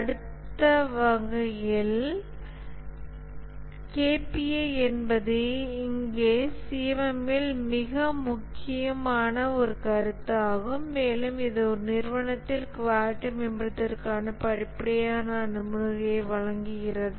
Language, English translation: Tamil, In that sense, the KPI is a very important concept here in the CMM and it gives a step by step approach to improve the quality at an organization